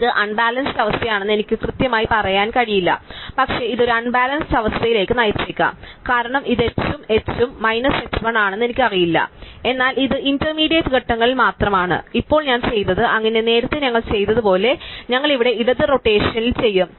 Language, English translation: Malayalam, So, I cannot say for sure it is unbalance, but it could to a unbalance, because I do not know which is h and which is h minus h 1, but this is only in intermediate steps, so now what I did, so earlier what we did, we will did on left rotation here